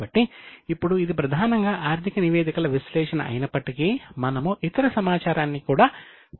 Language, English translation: Telugu, So, now though it is mainly analysis of statements, we are also going to use other information